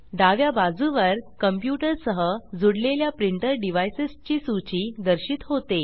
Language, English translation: Marathi, On the left hand side, a list of printer devices connected to the computer, is displayed